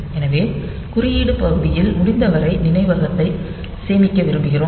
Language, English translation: Tamil, So, we would like to we like to save as much memory as possible in the code part